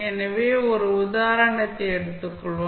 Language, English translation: Tamil, So, let us take one example